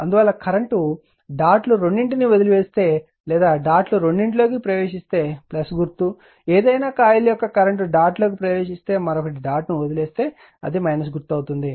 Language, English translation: Telugu, So, that is why if the if the current leaves both the dot or enters both the dot plus sign, if the current either of this coil once it is entering the dot another is leaving the dot it will be minus sign right